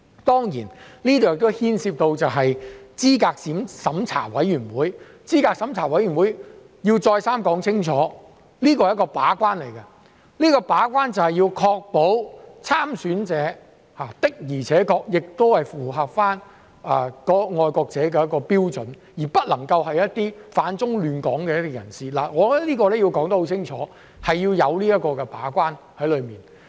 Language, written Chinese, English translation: Cantonese, 當然，這亦牽涉到候選人資格審查委員會，我要再三說清楚，資審會是一個把關，要確保參選者的確符合"愛國者"的標準，而不能是反中亂港的人士，我認為這一點要說清楚，我們需要這個把關。, Of course the Candidate Eligibility Review Committee CERC is also involved . I have to make it clear over and over again that CERC is a gatekeeper to ensure that candidates truly meet the criteria for a patriot and will not be people that oppose the Central Authorities and cause disturbances to Hong Kong . I consider we have to make it clear that such gatekeeping is needed